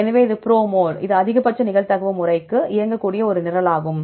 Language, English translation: Tamil, So, this is the proml, this is a program which can run for the maximum likelihood method